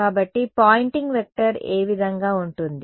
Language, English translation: Telugu, So, which way will the Poynting vector be